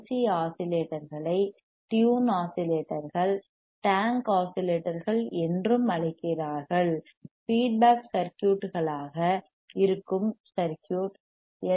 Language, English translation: Tamil, tThat is why LC oscillators are also called tuned oscillators, tank oscillators; resonant circuits they are if the circuit that is a feedback circuit is a LC circuits